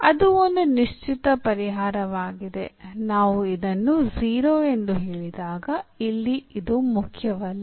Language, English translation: Kannada, That is a particular solution when we said this to 0 here this is not important